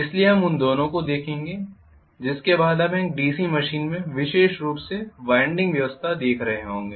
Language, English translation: Hindi, So we will look at both of them after which we will be looking at specifically winding arrangement in a DC machine